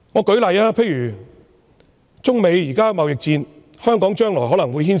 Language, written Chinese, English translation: Cantonese, 舉例而言，中美現正進行貿易戰，香港將來可能會被牽連。, For example given the ongoing trade war between China and the United States Hong Kong will likely get involved in the future